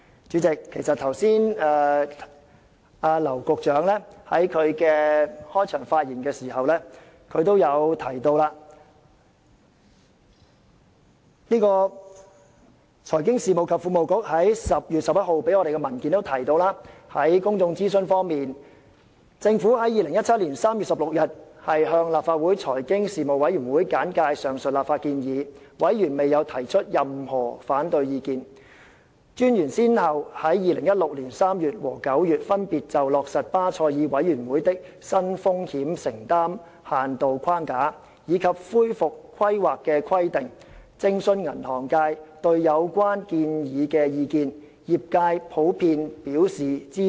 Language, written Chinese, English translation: Cantonese, 主席，劉局長剛才在他的開場發言時已經提到，財經事務及庫務局在10月11日提交我們的文件也提到，在公眾諮詢方面，政府在2017年3月16日向立法會財經事務委員會簡介上述立法建議，而委員未有提出任何反對意見。專員先後在2016年3月和9月，分別就落實巴塞爾委員會的新風險承擔限度框架，以及恢復規劃的規定，徵詢銀行界對有關建議的意見，而業界普遍表示支持。, President as already mentioned in the opening speech of Secretary James Henry LAU and the paper submitted to us by the Financial Services and the Treasury Bureau on 11 October insofar as public consultation is concerned the Government consulted the Legislative Council Panel on Financial Affairs on 16 March 2017 on the legislative proposals and Members did not raise any objections; the Monetary Authority consulted the banking industry on its proposals for the implementation of the Basel Committee on Banking Supervisions new exposure limits framework and recovery planning requirements in March and September 2016 respectively and the feedback received was generally supportive; and a second round of industry consultation on the detailed provisions of the Bill was conducted in July 2017 and again the industry was broadly supportive of the proposed amendments